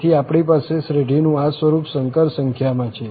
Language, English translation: Gujarati, So, we have the form in the complex numbers